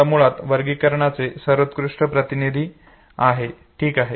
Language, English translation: Marathi, Now prototypes are the best representatives of these categories, okay